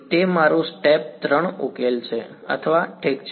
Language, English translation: Gujarati, So, that is my step 3 solve or I n’s ok